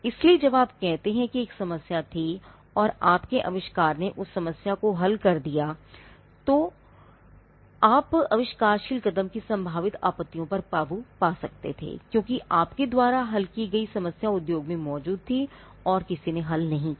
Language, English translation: Hindi, So, when you say that there was a problem and your invention solved that problem, you could get over potential objections of inventive step, because the problem that you solved existed in the industry and no one else solved